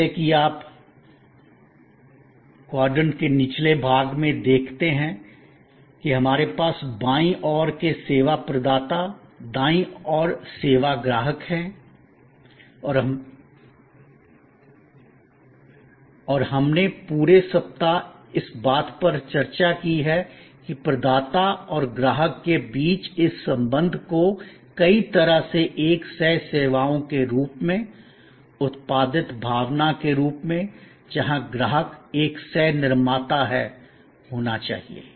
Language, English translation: Hindi, As you see at the bottom of the triangle we have on the left the service provider on the right service customer and we have discussed throughout this week that this relationship between the provider and the customer has to be very interactive services in many ways a co produced feeling, where the customer is a co creator